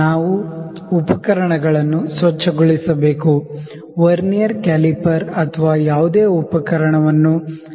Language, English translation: Kannada, We need to clean the equipment, clean the Vernier caliper or any equipment